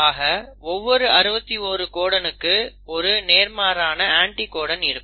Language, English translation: Tamil, So every codon, likewise all 61 codons will have the complementary anticodons